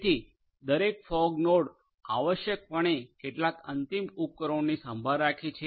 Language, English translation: Gujarati, So, every fog node essentially takes care of a few end devices